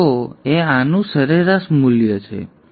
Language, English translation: Gujarati, V0 would be the average value of this